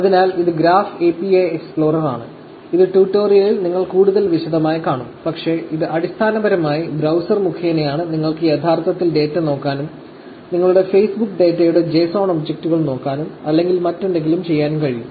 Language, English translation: Malayalam, So, this is the Graph API Explorer, which you will see in the tutorial in more detail but, it is essentially a through by browser you can actually look at the data, look at the JSON objects of the Facebook data of yourself, or whatever the Facebook API allows, which we will be able to see through this graph API